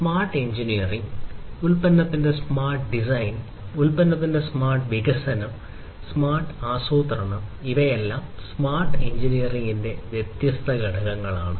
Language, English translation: Malayalam, Smart engineering, smart design of the product, smart development of the product, smart planning all of these are different constituents of smart engineering